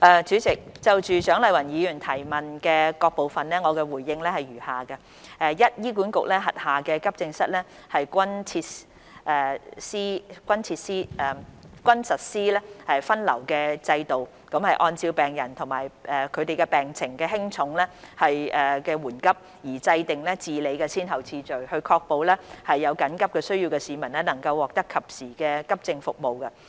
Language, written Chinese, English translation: Cantonese, 主席，就蔣麗芸議員質詢的各部分，我的答覆如下：一醫院管理局轄下急症室均實施分流制度，按照病人病情的輕重緩急而制訂治理的先後次序，確保有緊急需要的市民能獲得及時的急症服務。, President my reply to the various parts of the question raised by Dr CHIANG Lai - wan is as follows 1 The Hospital Authority HA adopts a triage system in its accident and emergency AE departments under which priorities for treatment are set according to the severity and nature of patients medical conditions so as to ensure that timely AE services are provided to those with urgent needs